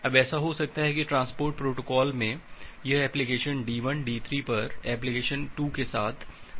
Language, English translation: Hindi, Now it may happen that in a transport protocol that application at D1, so application at D1 wants to make communicate with application 2 at D3